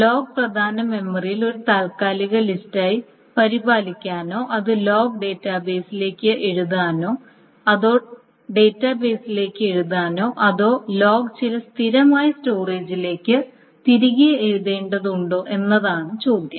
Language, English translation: Malayalam, Now the question is, the log is maintained as a temporary list in the main memory and the log needs to be written to the database or not to the database, the log needs to be written back to some stable storage